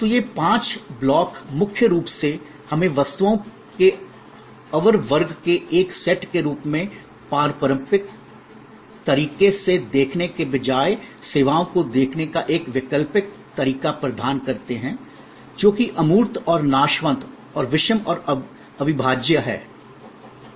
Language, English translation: Hindi, So, these five blocks mainly provide us an alternative way of looking at services rather than looking at it in a traditional way as a set of inferior class of goods, which are intangible and perishable and heterogeneity and inseparable, etc